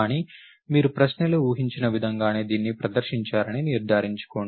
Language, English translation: Telugu, But, make sure that you presenting it in exactly the same way as expected in the question